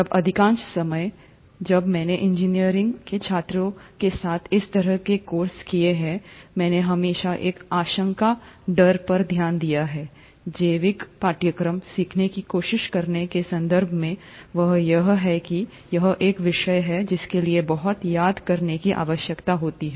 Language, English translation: Hindi, Now, most of the times when I have taken these kind of courses with engineering students, I have always noticed an apprehension in terms of trying to learn a biological course, and the reasons that I have gotten more often from them is that it's a subject which requires a lot of memorizing